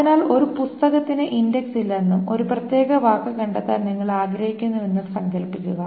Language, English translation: Malayalam, So imagine that a book has no index and you want to find a particular word